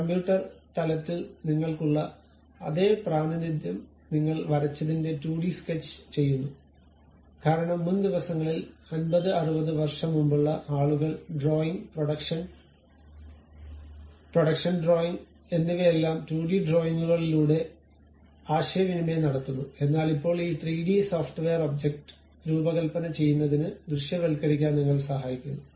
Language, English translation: Malayalam, The 2D sketches what we have drawn the same representation you will have at computer level also because earlier days something like some 50 60 years back people communicate their skill set in terms of drawing, production drawings everything through 2D drawings, but nowadays these 3D softwares really help us to visualize the object to design it